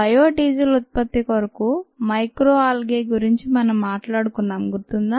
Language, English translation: Telugu, remember we talked about ah, micro algae for the production of ah biodiesel